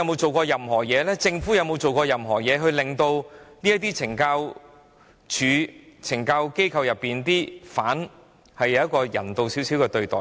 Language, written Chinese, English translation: Cantonese, 保安局和政府有沒有設法令懲教機構內的囚犯獲得較人道的對待？, Have the Security Bureau and the Government tried to ensure that the inmates in correctional institutions will be given more humane treatment?